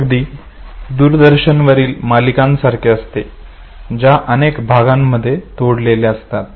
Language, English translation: Marathi, It just like a television serial which is broken into several episodes